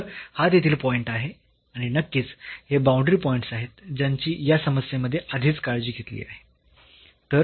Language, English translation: Marathi, So, this is the point there and obviously, these boundary points which are already being taken care by the earlier problem